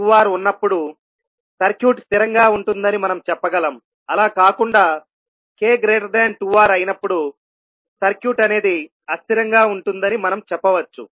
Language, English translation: Telugu, So what we can say that the circuit will be stable when k is less than 2R otherwise for K greater than 2R the circuit would be unstable